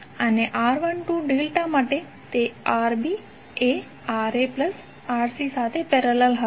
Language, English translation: Gujarati, And for R1 2 delta, that was Rb in parallel with Ra plus Rc